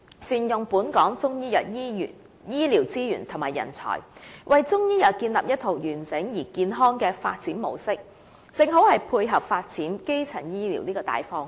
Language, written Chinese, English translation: Cantonese, 善用本港中醫藥醫療資源及人才，為中醫藥建立一套完整而健康的發展模式，正好配合發展基層醫療的大方向。, Utilizing the resources and manpower for Chinese medicine optimally and putting in place a complete and healthy mode of development for Chinese medicine in Hong Kong can tie in completely with the major direction of developing primary health care